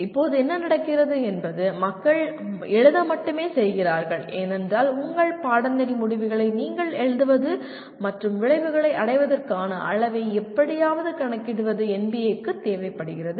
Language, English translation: Tamil, Right now what is happening is only people are writing as because NBA requires that your writing your course outcomes and somehow computing the level of attainment of outcomes